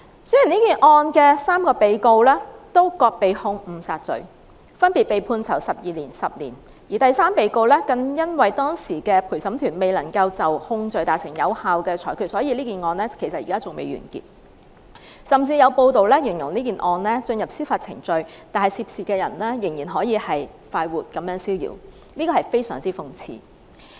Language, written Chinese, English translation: Cantonese, 雖然這宗案件的3名被告均被控誤殺罪，分別被判囚12年和10年，而第三被告更因當時的陪審團未能就控罪達成有效的裁決，以致這宗案件至今仍未完結，甚至有報道形容這宗案件雖然進入司法程序，但涉事人仍然逍遙快活，這是非常諷刺的。, The three defendants in the case were charged with manslaughter and two of them were respectively sentenced 12 - year and 10 - year imprisonments but the jury could not reach a meaningful verdict on the third defendant . The court case has remained inconclusive . It has even been reported that the defendant concerned is still at large despite the fact that the case has entered its judicial process